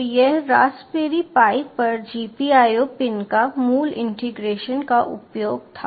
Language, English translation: Hindi, so this was the basic integration and usage of gpio pins on the raspberry pi